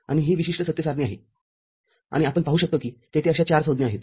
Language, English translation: Marathi, And this particular truth table we can see that there are 4 such terms